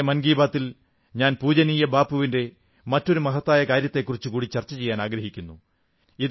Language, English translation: Malayalam, In today's Mann Ki Baat, I want to talk about another important work of revered Bapu which maximum countrymen should know